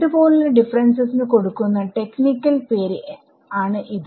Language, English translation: Malayalam, So, this is the technical name given to this kind of a difference